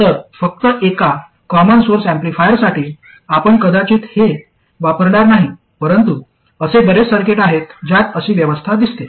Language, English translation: Marathi, So just for a common source amplifier you would probably not use, but there are many other circuits in which such an arrangement appears